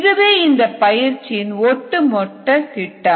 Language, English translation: Tamil, that is the overall a scheme for this course